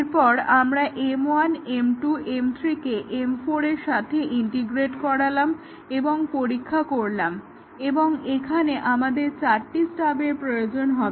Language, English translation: Bengali, And then integrate M 1 with M 2 and M 3, and then we integrate M 1, M 2, M 3 with M 4 and test and here see we need four stubs